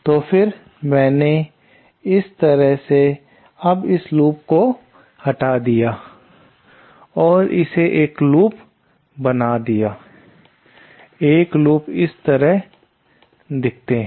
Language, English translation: Hindi, So, thenÉ What I have done this way that I have now removed this loop and made it a loop, single look like this